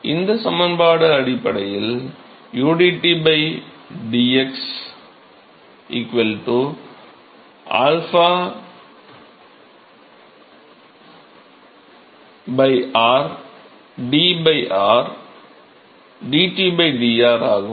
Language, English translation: Tamil, So, these equation essentially boils down to udT by dx equal to alpha by r d by dr dT by dr